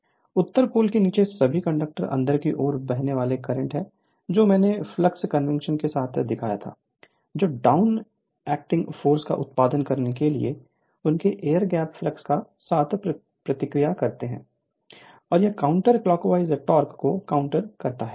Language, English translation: Hindi, So, next is all the conductors under the north pole carry inward flowing currents that I showed with flux convention which react with their air gap flux to produce downward acting force, and it counter and the counter clockwise torque